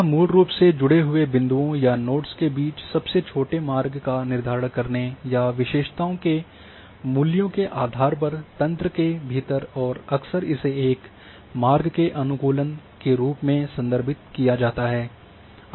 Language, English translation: Hindi, And this is basically the determination of shortest path between connected points or nodes within the network based on attributes values and this is often referred as a route optimization